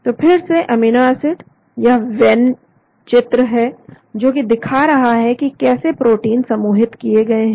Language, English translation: Hindi, so the amino acids again this is Venn diagram showing how the proteins could be grouped